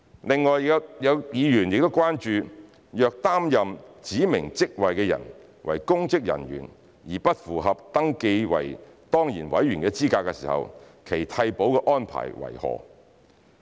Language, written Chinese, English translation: Cantonese, 另外，有議員關注若擔任指明職位的人為公職人員而不符合登記為當然委員的資格時，其替補的安排為何。, In addition some members are concerned about the arrangements for replacement if the person holding the specified position is a public servant and is not eligible to be registered as an ex - officio member